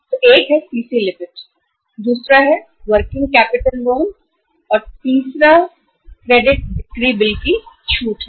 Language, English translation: Hindi, So one is the CC limit, second is the working capital loan and third one is the discounting of the credit sale bills